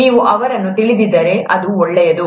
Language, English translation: Kannada, If you know them then it’s fine